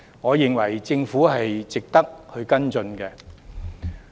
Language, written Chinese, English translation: Cantonese, 我認為政府應該跟進。, I hold that the Government should follow it up